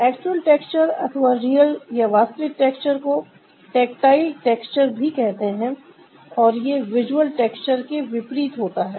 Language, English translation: Hindi, actual texture or the real texture is also known as tactile texture, and this is opposite of visual texture, that we see some surface as rough upon touching